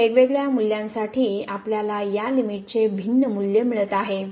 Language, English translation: Marathi, For different values of , we are getting different value of this limit